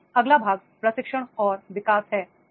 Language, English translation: Hindi, Now, the next part comes that is the training and development